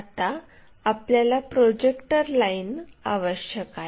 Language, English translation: Marathi, And, then we require a projector line in this way